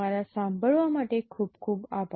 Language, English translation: Gujarati, Thank you very much for your listening